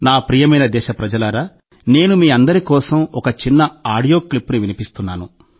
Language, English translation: Telugu, My dear countrymen, I am playing a small audio clip for all of you